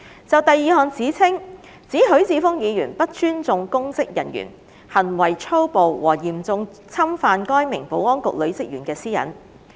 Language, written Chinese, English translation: Cantonese, 就第二項指稱，指許智峯議員不尊重公職人員、行為粗暴和嚴重侵犯該名保安局女職員的私隱。, The second allegation is that Mr HUI Chi - fung showed no respect for public officers acted violently and seriously infringed upon the privacy of the female officer of the Security Bureau